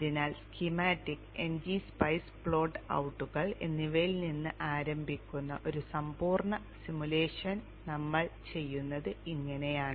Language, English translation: Malayalam, So this is how we go about doing a complete simulation starting from schematics and NG spies and the plot outs